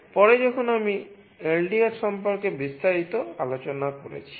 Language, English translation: Bengali, Later when I discussed about LDR in detail